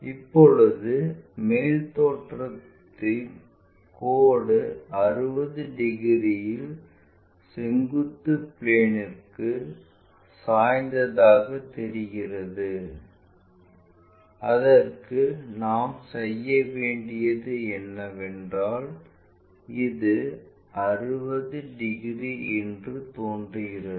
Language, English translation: Tamil, Now, this top view of the line appears to incline to vertical plane at 60 degrees; for that what we have to do is because this one is appears to be 60 degree